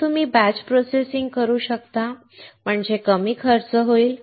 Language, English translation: Marathi, So, you can do batch processing; that means, cost will come down